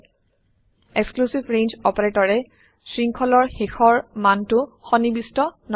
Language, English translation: Assamese, Exclusive range operator excludes the end value from the sequence